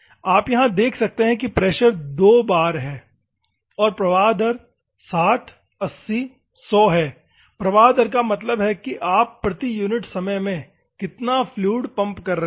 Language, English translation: Hindi, You can see here the pressure is 2 bar and the flow rate is flow rate means cutting fluid how much you are pumping per unit time